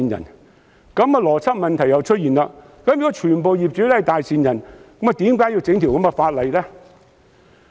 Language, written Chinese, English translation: Cantonese, 如此一來，邏輯問題再度出現：如果全部業主都是大善人，何須提出這項法案？, In this situation the same logic problem arises If all landlords are kind - hearted what is the point of introducing this Bill?